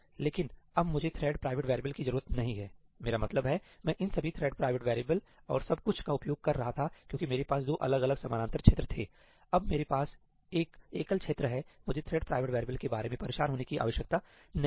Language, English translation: Hindi, But now, I do not need thread private variables; I was using all these thread private variables and everything because I had two separate parallel regions; now I have a single region, I do not even need to bother about thread private variables